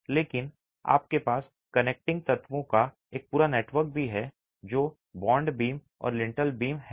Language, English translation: Hindi, But you also have an entire network of connecting elements which are the bond beams and the lintel beams